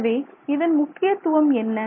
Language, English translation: Tamil, So that is important